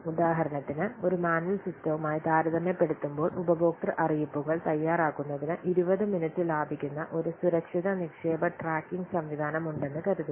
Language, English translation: Malayalam, For example, suppose there is a safe deposit tracking system that saves 20 minutes preparing customer notices compared with the manual system